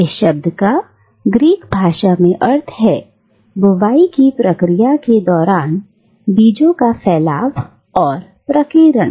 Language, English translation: Hindi, Now, the word in its Greek form means dispersion and scattering of seeds during the process of sowing